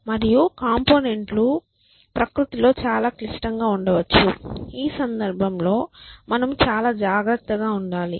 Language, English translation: Telugu, And components may themselves very more complex in nature essentially in which case of course; we have to be very careful